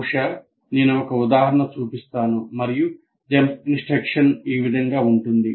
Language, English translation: Telugu, Maybe I will show an example and say this is how the jump instruction is relevant